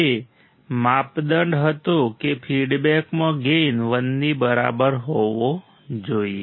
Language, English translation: Gujarati, That was the criteria gain into feedback should be equal to 1